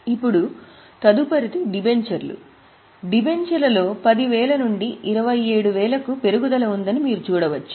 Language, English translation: Telugu, You can see debentures there is an increase from 10,000 to 27,000